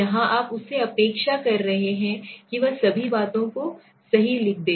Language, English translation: Hindi, Here you are expecting him to or her to write down all the things right